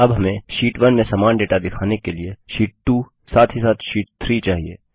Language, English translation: Hindi, Now we want Sheet 2 as well as Sheet 3 to show the same data as in Sheet 1